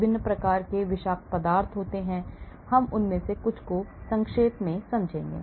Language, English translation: Hindi, different types of toxicities are there, we look at some of them in brief,